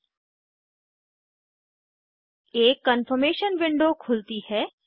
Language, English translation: Hindi, A Confirmation window opens